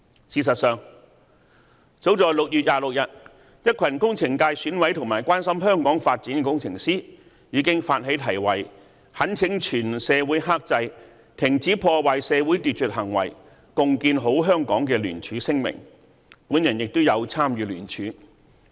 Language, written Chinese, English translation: Cantonese, 事實上，早在6月26日，一群工程界選委及關心香港發展的工程師，已發起題為"懇請全社會克制、停止破壞社會秩序行為、共建好香港"的聯署聲明，我也有參與聯署。, As a matter of fact a group of Election Committee members from the Engineering Subsector and engineers who care about the development of Hong Kong have initiated a signature campaign to urge the entire society to restrain stop disrupting social order and build a better Hong Kong together on 26 June . I was one of the signatories